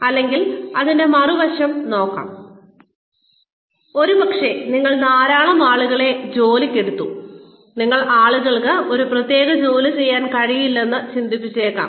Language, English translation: Malayalam, Or, you may, the other side of it, may be that, you hired a lot of people, who you think, you may have initially thought that, people may not be able to do a particular task